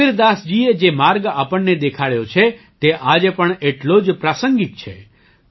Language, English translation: Gujarati, The path shown by Kabirdas ji is equally relevant even today